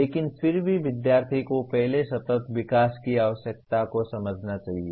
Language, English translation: Hindi, But still student should understand the need for sustainable development first